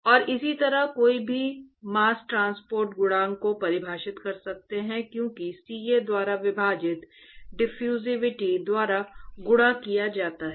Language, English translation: Hindi, And similarly one could define mass transport coefficient as diffusivity multiplied by, divided by CA, ok